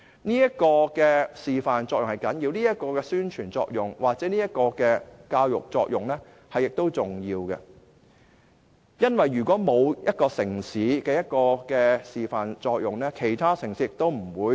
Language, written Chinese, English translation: Cantonese, 這種示範作用、宣傳作用或教育作用是重要的，因為如果沒有一個城市能起示範作用，其他城市亦不會跟隨。, It is important to set such an example or to play such a promotional or educational role because if no city can set such an example other cities will not follow suit